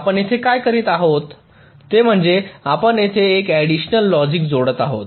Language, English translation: Marathi, now what we are doing here is that we are adding some extra logic